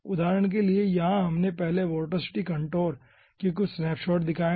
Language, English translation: Hindi, okay, for example, here we have first, ah, made some snapshot of the vorticity contour